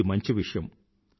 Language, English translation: Telugu, This is certain